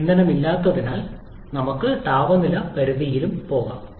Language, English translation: Malayalam, As there is no fuel inside, so we can go to any temperature limit during the compression process